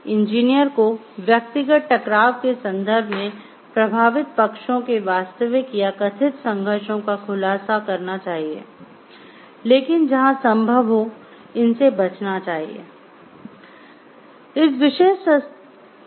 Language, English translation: Hindi, Personal conflict, engineers shall disclose real or perceived conflicts of a interest to affected parties and avoid these where possible